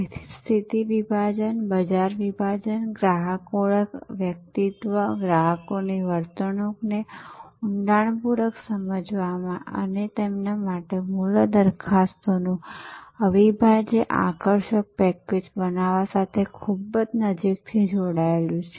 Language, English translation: Gujarati, So, that is why positioning is very closely allied to segmentation, market segmentation, customer identification, deeply understanding the persona, the behaviour of customers and creating an unassailable attractive package of value propositions for them